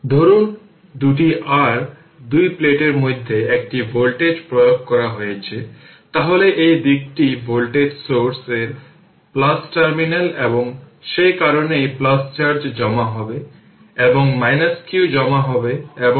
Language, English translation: Bengali, Suppose a voltage is applied between the two your two plate the two plates, so this side this is the plus terminal of the voltage right source and that is why plus charge is accumulated and minus q will be accumulated and total charge will be 0 right